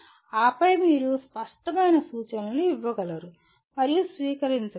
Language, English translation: Telugu, And then further you should be able to give and receive clear instructions